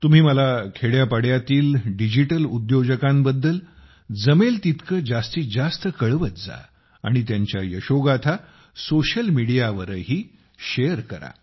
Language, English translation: Marathi, Do write to me as much as you can about the Digital Entrepreneurs of the villages, and also share their success stories on social media